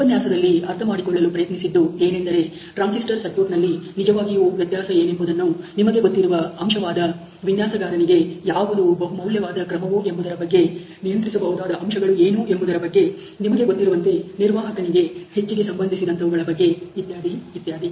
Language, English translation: Kannada, In the century also try to understanding on a transistor circuit what would really be the variability, you know factor which is valuable mode to what is the designers, what is also the controllable factors, which are you known mostly related to the operators, etcetera